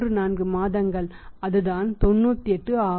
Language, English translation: Tamil, 34 months that is 98